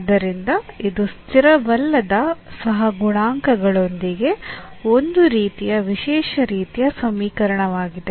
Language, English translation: Kannada, So, this is one kind of special kind of equation with non constant coefficients